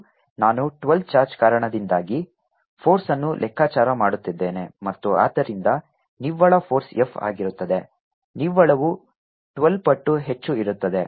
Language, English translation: Kannada, and i am calculating force due to twelve charges and therefore the net force is going to be f